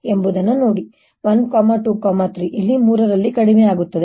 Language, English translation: Kannada, let's see that one, two, three, it comes down in three